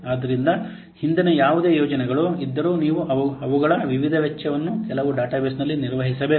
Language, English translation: Kannada, So whatever previous projects are there, you must maintain the various costs in some database